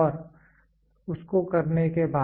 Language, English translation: Hindi, And after you do that